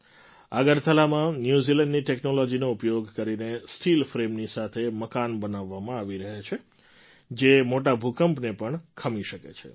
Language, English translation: Gujarati, In Agartala, using technology from New Zealand, houses that can withstand major earthquakes are being made with steel frame